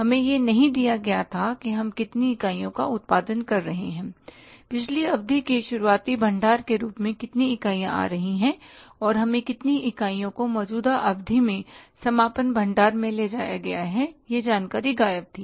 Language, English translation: Hindi, We were not given that how many units we are producing, how many units are coming as the opening stock from the previous period, and how many units are transferred to the closing stock from the current period